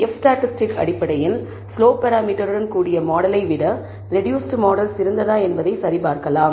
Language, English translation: Tamil, We can also check based on the f statistic whether the reduced model is better than the model with the slope parameter